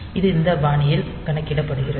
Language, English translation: Tamil, So, it is calculated in this fashion